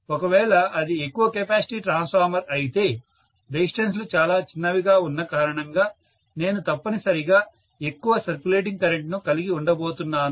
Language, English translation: Telugu, If it is a large capacity transformer, because the resistances are going to be really really small, I am essentially going to have a huge circulating current